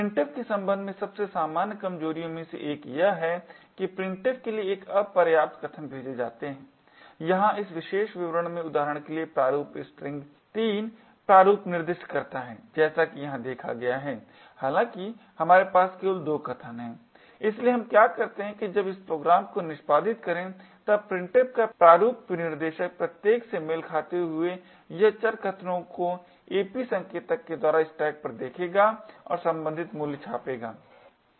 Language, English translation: Hindi, One of the most common vulnerabilities with respect to printf is an insufficient arguments are passed to printf for example in this particular statement over here the format string specifies 3 format specifiers as seen over here however we have passing only 2 arguments, so what happens when we execute this program is that corresponding to each of these format specifiers printf would look at the variable arguments on the stack using the ap pointer and print the corresponding value